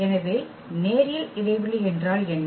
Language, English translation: Tamil, So, what is the linear span